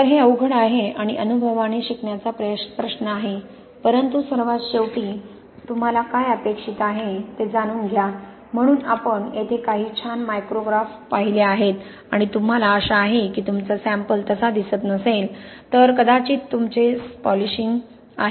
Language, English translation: Marathi, So, it is difficult and it is a question of really learning by experience but last of all, know what you want to expect so we have seen some nice micrographs here and you know hopefully then if your sample is not looking like that then it is probably your polishing